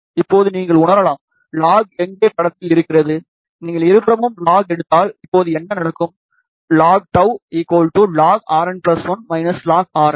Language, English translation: Tamil, Now, you might feel, where is log coming into picture, log comes into picture if you take log on both the sides, so what will happen now, log of tau is equal to log of R n plus 1 minus log of R n